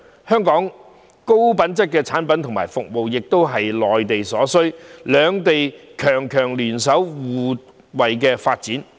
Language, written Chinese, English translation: Cantonese, 香港的高品質產品和服務，亦是內地所需，兩地強強聯手，可互惠發展。, Given that Hong Kongs high quality products and services are in demand by the Mainland the two strong economies can actually join hands to bring mutual benefits